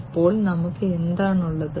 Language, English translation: Malayalam, So, we have what